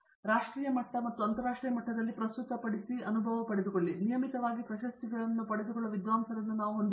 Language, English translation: Kannada, So, we do have scholars who present both at a national level and international level and regularly obtain awards